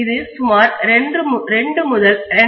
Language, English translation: Tamil, This will take anywhere between about 2 to 2